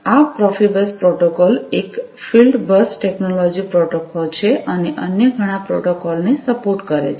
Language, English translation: Gujarati, This Profibus protocol is a field bus technology protocol and supports several other protocols